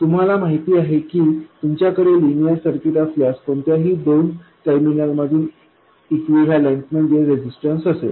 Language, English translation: Marathi, You know that if you have a linear circuit then the equivalent between any two terminals will be a resistance